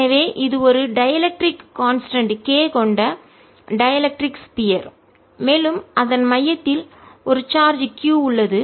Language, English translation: Tamil, so this is a dielectric sphere of dielectric constant k and we have a charge q at the centre of it